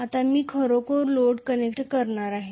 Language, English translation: Marathi, Now, I am going to actually connect a load okay